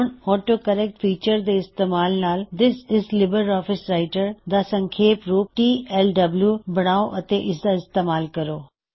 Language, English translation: Punjabi, Using the AutoCorrect feature, create an abbreviation for the text This is LibreOffice Writer as TLWand see its implementation